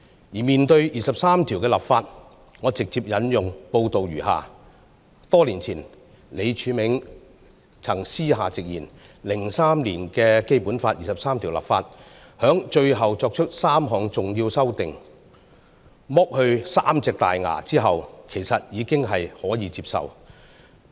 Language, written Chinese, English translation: Cantonese, 而關於第二十三條的立法，我直接引用報道如下："多年前，李柱銘就曾私下直言 ，03 年的《基本法》二十三條立法，在最後作出3項重要修訂，'剝去三隻大牙'後，其實已是可以接受。, As for enacting legislation to implement Article 23 I quote the report directly as follows Many years ago Martin LEE said candidly in private that when the Government enacted legislation to implement Article 23 of the Basic Law in 2003 if the last three major amendments were accepted and the three front teeth were removed the legislation could actually be acceptable